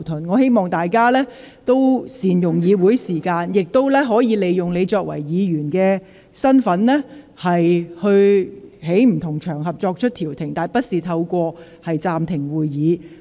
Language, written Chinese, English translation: Cantonese, 我希望大家能夠善用會議時間，個別議員亦可以其議員身份在不同場合調停社會紛爭，但不應要求暫停會議。, I hope that Members can make good use of the meeting time . Individual Members can in their capacity as Members mediate social disputes on different occasions but they should not request the meeting be suspended